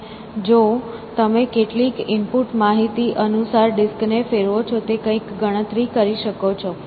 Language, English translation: Gujarati, And, if you rotate the disc according to some input information you would compute something